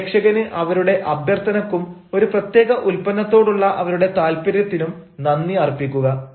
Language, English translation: Malayalam, thank the applicant for the request for their interest in a particular product